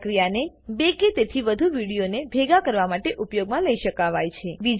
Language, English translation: Gujarati, This procedure can be used to combine two or more videos